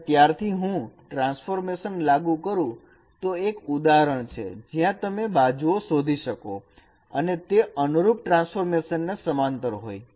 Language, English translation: Gujarati, And from there if I apply the transformation then this is one example that now you can find out the edges have become more become parallel in the corresponding transformation